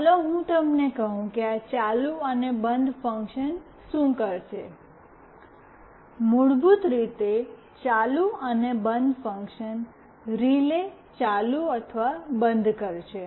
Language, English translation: Gujarati, Let me tell you what this ON and OFF function will do; basically the ON and OFF function will make the relay ON or OFF